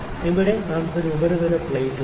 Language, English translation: Malayalam, So, here we have a surface plate